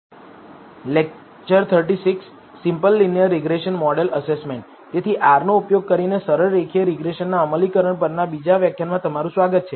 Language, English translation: Gujarati, So, welcome to the second lecture on implementation of simple linear regression using R